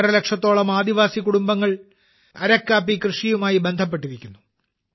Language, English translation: Malayalam, 5 lakh tribal families are associated with the cultivation of Araku coffee